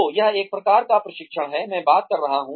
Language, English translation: Hindi, So, this is the kind of training, I am talking about